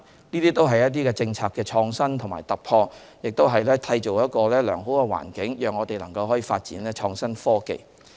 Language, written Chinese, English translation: Cantonese, 這些都是政策創新和突破，也締造良好的環境，讓我們可以發展創新科技。, All these are the results of policy innovation and breakthrough which help create desirable environment for us to develop innovative technologies